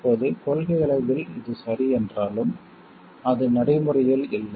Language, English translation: Tamil, Now this while okay in principle is simply not practical